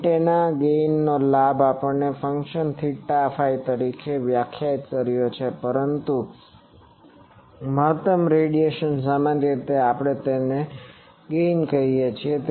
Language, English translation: Gujarati, Gain of an antenna gain we defined as a function theta phi, but the maximum radiation generally we call it gain